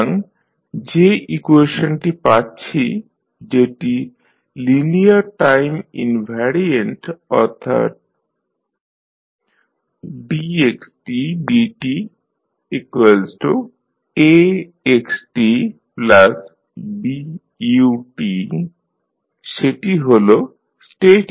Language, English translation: Bengali, So, the equation which we have linear time invariant that is dx by dt is equal to Ax plus Bu this is the state equation we have